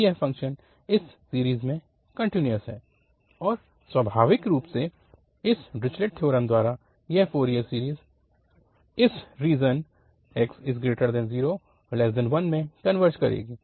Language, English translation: Hindi, So, this function is continuous in this range and naturally by this Dirichlet theorem, this Fourier series will converge in this region 0 to 1